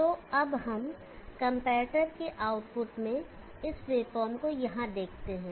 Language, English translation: Hindi, So now let us look at this wave form here in the output of the comparator